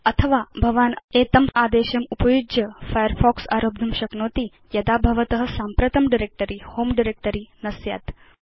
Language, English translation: Sanskrit, Alternately, you can launch Firefox by using the following command when your current directory is not the home directory